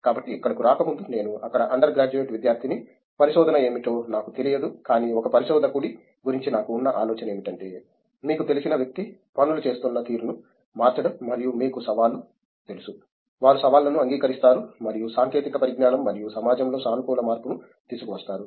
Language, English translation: Telugu, So, before coming here I was an under graduate student there in I barely knew what research was but from what idea I had about a researcher was that the someone who you know change the way things have being done and they you know challenge, they accept challenges and just bring about positive change in technology and in society as a whole